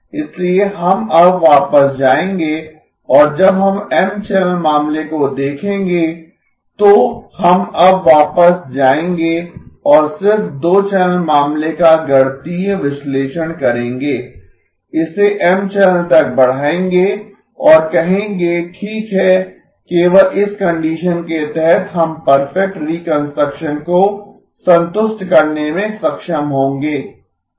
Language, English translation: Hindi, So we will now go back and when we look at M channel case, we will now go back and just do the mathematical analysis of the two channel case extended to the M channel and say okay only under this condition we will be able to satisfy perfect reconstruction okay